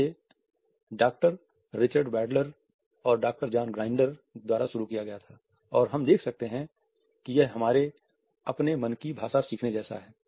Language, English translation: Hindi, It was started by Doctor Richard Bandler and Doctor John Grinder and we can see that it is like learning the language of our own mind